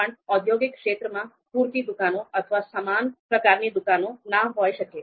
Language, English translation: Gujarati, However, in industrial area, there might not be you know you know enough number of shops or similar shops